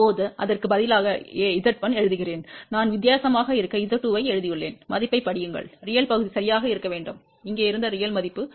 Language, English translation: Tamil, Now, instead of a writing Z 1, I have written Z 2 just to be different, read the value real part should be exactly same as the real value which was here which is 0